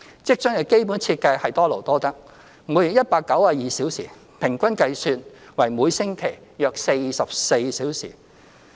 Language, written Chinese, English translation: Cantonese, 職津的基本設計是多勞多得，每月192小時，平均計算為每星期約44小時。, The monthly requirement of 192 hours means an average of about 44 working hours per week